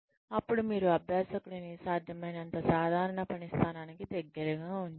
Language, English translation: Telugu, Then, you place the learner, as close to the normal working position, as possible